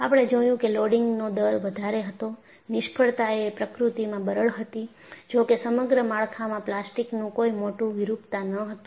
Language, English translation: Gujarati, We found that there was a higher rate of loading; the failure was brittle in nature, although there was no major plastic deformation on the structure as a whole